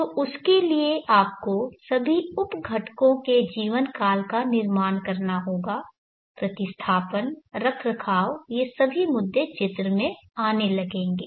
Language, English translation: Hindi, So how do you arrive at that, so for that you have to construct the lifetime of all the sub components, the replacement, maintenance, all these issues start coming into the picture